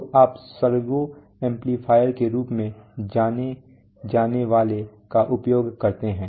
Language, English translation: Hindi, So you use what is known as servo amplifiers